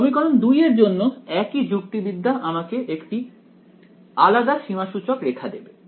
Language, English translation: Bengali, For equation 2, the same logic will give me a different contour right